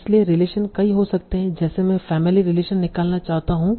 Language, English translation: Hindi, So relations can be many like, okay, want to extract family relations